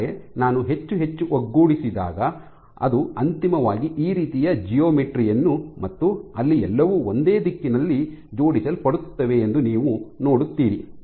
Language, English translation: Kannada, So, as I align more and more you will see they will generate this kind of geometries eventually where everything is aligned in one direction